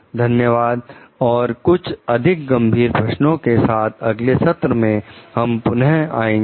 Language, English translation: Hindi, Thank you we will come back with more critical questions in the next session